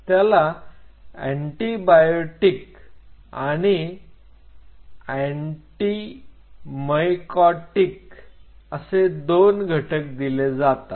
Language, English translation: Marathi, This is supplemented by antibiotic and anti mycotic